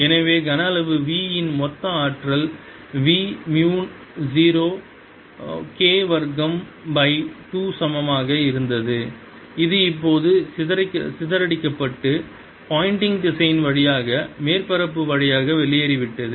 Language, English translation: Tamil, so total energy in volume v was equal to v k square by two, which has now dissipated and gone out through the surface through pointing vector